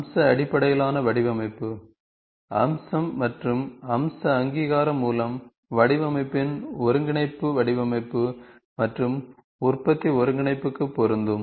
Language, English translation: Tamil, The integration of design by feature and feature recognition, designed by feature and feature recognition is applicable for design and manufacturing integration today